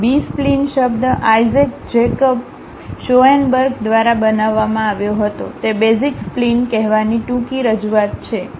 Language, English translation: Gujarati, The term B spline was coined by Isaac Jacob Schoenberg and it is a short representation of saying basis spline